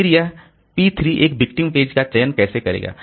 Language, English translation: Hindi, Then how this P3 will select a victim page